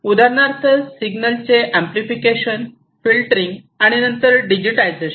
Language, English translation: Marathi, For example, amplification filtering of the signals and so on and then digitize right